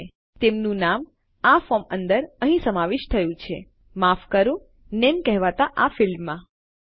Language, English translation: Gujarati, And their name is contained within this form here sorry this field here called name